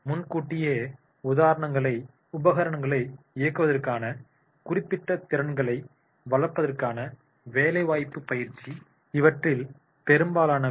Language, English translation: Tamil, Much of this is on the job training to develop the specific skills to operate more advanced equipments